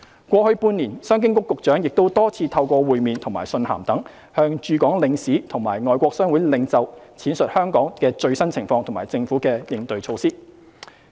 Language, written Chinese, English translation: Cantonese, 過去半年，商經局局長亦多次透過會面和信函等，向駐港領事和外國商會領袖闡述香港的最新情況和政府的應對措施。, In the past half year the Secretary for Commerce and Economic Development also updated the Consuls - General in Hong Kong and leaders of foreign chambers of commerce on the latest situation in Hong Kong and the Governments responding measures through meetings letters etc